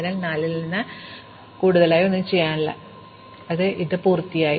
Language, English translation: Malayalam, So, there is nothing more we can do from 4 and so this exploration is done